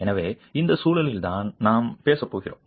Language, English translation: Tamil, So, it is within this context that we are going to be talking about